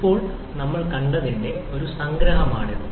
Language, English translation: Malayalam, Now, this is a brief summary of what we have seen